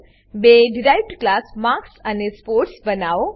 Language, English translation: Gujarati, *Create two derived class marks and sports